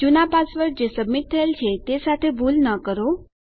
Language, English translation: Gujarati, Dont mistake this with the old password that has been submitted